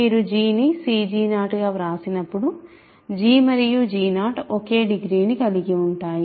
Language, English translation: Telugu, When you write g as c g g 0, g and g 0 have the same degree